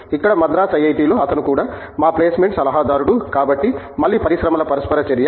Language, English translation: Telugu, Here in IIT, Madras, he is also been our placement adviser so, again a lot of industry interaction